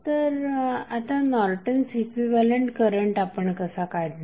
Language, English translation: Marathi, So, now the Norton's equivalent current how we will find out